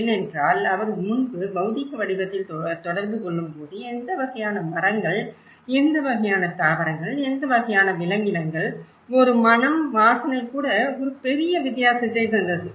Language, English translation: Tamil, Because when he was interacting earlier in the physical form, he was able to see what kind of trees, what kind of flora, what kind of fauna even a smell of flower makes a big difference